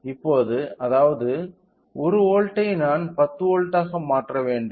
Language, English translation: Tamil, Now, so that means, 1 volt I should convert into 10 volts